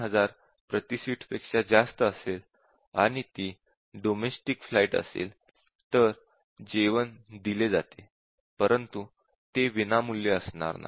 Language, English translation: Marathi, And if it is more than half full, more than 3000 per seat, and it is domestic flight then meals are served, but that is not a free meal